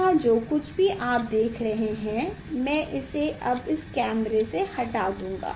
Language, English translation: Hindi, whatever here you are seeing I will remove it now this camera